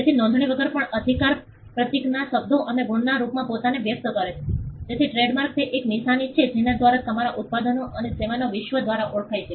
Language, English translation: Gujarati, So, without even without registration the right is express itself in the form of a symbol’s words and marks so, that trademark is something it is a mark by which your products and services are identified by the world